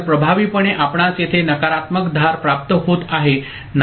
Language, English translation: Marathi, So, effectively you are getting a negative edge triggering over here is not it